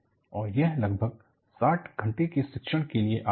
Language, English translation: Hindi, And, this comes for about 60 hours of teaching and learning